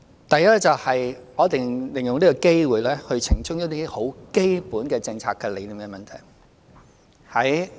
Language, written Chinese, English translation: Cantonese, 第一，我想利用這個機會澄清一些很基本的政策理念問題。, Firstly I wish to take this opportunity to clarify some basic policy concepts